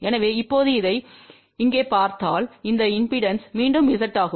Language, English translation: Tamil, So, now if we look at this here so this impedance is again Z